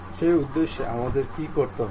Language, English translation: Bengali, For that purpose what we have to do